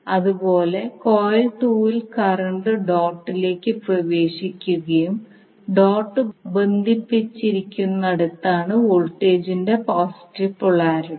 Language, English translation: Malayalam, Similarly in the coil 2 current is entering the dot and the positive polarity of the voltages when where the dot is connected here also the positive where the dot is connected